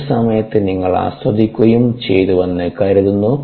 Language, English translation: Malayalam, hopefully you had fun during the course and you enjoyed the course ah